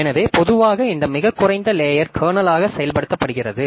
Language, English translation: Tamil, So, and in general this lowest layer it is implemented as the kernel